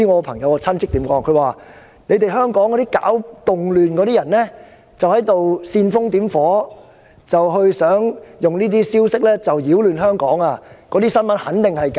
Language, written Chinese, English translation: Cantonese, 他說香港搞動亂的人在煽風點火，想利用這些消息擾亂香港，那些新聞肯定是假的。, He said the people creating disturbances in Hong Kong were fanning the flame . They wished to use such news to stir up trouble in Hong Kong . Those news reports were definitely fake